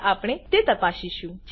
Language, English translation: Gujarati, Now we will check it out